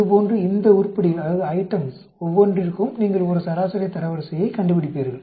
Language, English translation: Tamil, Like that for each one of these items, you find out a median rank